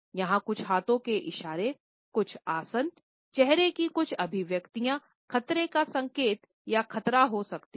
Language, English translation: Hindi, There may be some hand movements, certain postures, certain facial expressions which can be threatening and menacing